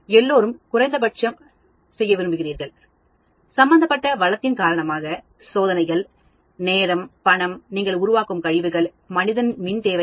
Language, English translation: Tamil, Everybody would like to do minimum experiments because of the resource involved, time, money, waste you are generating, man power requirements